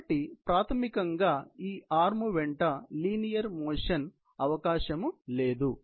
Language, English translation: Telugu, So, basically there is no possibility of linear motion along this particular arm